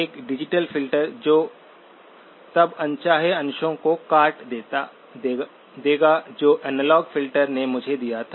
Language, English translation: Hindi, A digital filter which will then cut off the unwanted portions that the analog filter gave me